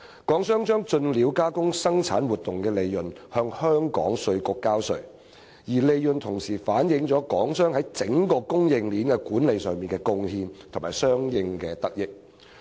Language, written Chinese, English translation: Cantonese, 港商從"進料加工"生產活動賺到的利潤向香港稅務局交稅，該利潤反映港商在整個供應鏈管理上的貢獻和相應得益。, Hong Kong enterprises pay tax to the Hong Kong Inland Revenue Department on the profits generated from production activities under the import processing arrangement and the profits reflect Hong Kong enterprises contribution to and benefits gained from their management of the production chain